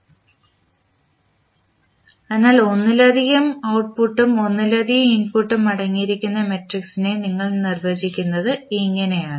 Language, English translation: Malayalam, So, this is how you define the matrix which contains the multiple output and multiple input